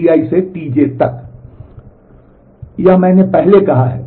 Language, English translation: Hindi, This is what I said earlier